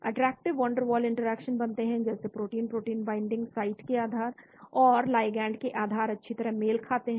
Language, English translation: Hindi, Attractive Van der Waals interactions occurs as the shape of the protein binding site and the shape of the ligand match well